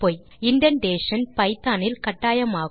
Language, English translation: Tamil, Indentation is essential in python